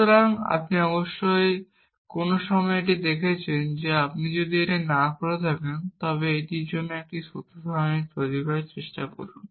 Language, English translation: Bengali, So, you must have looked at it at some point that if you have not done this, tries to construct a truth table for this